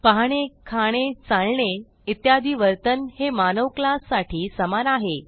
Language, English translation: Marathi, Seeing, eating, walking etc are behaviors that are common to the human being class